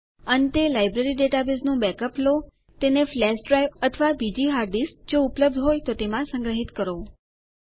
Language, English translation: Gujarati, Finally, take a backup of the Library database, save it in a flash drive or another hard disk drive, if available